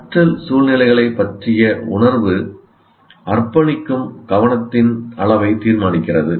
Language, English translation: Tamil, So how a person feels about learning situation determines the amount of attention devoted to it